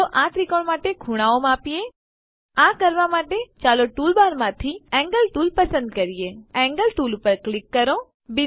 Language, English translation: Gujarati, Lets measure the angles for this triangle, To do this Lets select the Angle tool from the tool bar, click on the Angle tool